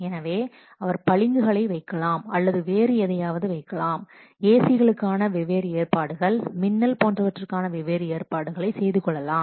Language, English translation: Tamil, So, he may put marbles or who may put different what different arrangements for ACs, different arrangements for lighting, etc